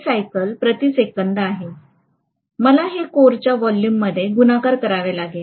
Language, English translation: Marathi, So this is cycles per second, I have to multiply this by volume of the core, okay